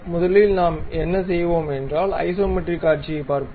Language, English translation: Tamil, So, first thing what we will do is look at isometric view